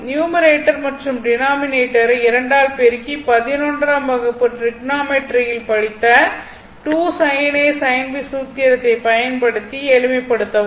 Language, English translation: Tamil, So, it is numerator and denominator you multiply by 2, and then you just 2 sin A sin B formula use for your class eleven trigonometry right